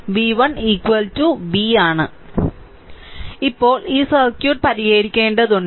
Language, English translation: Malayalam, So, now, we have to we have to solve this circuit